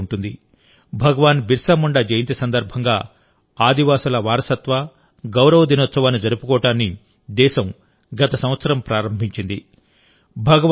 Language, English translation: Telugu, You will remember, the country started this last year to celebrate the tribal heritage and pride on the birth anniversary of Bhagwan Birsa Munda